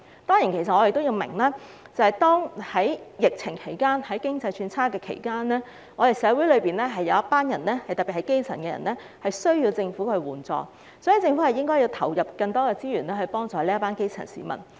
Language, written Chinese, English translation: Cantonese, 我們當然明白在疫情及經濟轉差的情況下，社會需要政府援助，特別是基層人士，所以政府需要投放更多資源，幫助這群基層市民。, We certainly understand that amid the epidemic and the economic downturn the community at large especially the grass roots are in need of government assistance . That is why the Government has to allocate more resources to help the grass roots